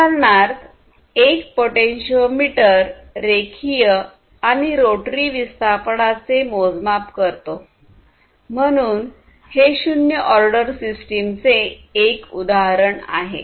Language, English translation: Marathi, So, basically a potentiometer for instance measures the linear and rotary displacements, right; so this is an example of a zero order system